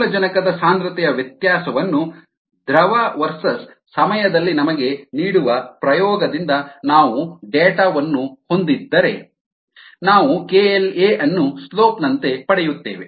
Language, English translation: Kannada, and if we have data from an experiment that gives us the variation of the concentration of oxygen and the liquid verses time, we will get k l a as the slope